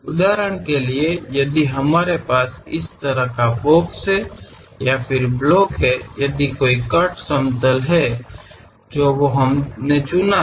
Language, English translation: Hindi, For example if we have this kind of box, block; if there is a cut plane, we have chosen